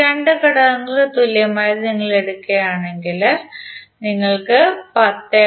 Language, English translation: Malayalam, If you take the equivalent of these 2 elements, you will get 10